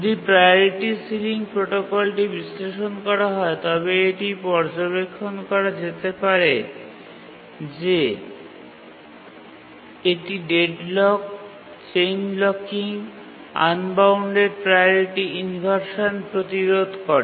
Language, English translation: Bengali, If we analyze the priority sealing protocol, we will see that it prevents deadlocks, prevents chain blocking, prevents unbounded priority inversion, and also limits the inheritance related inversion